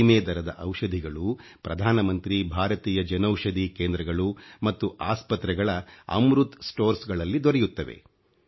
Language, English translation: Kannada, Affordable medicines are now available at 'Amrit Stores' at Pradhan Mantri Bharatiya Jan Aushadhi Centres & at hospitals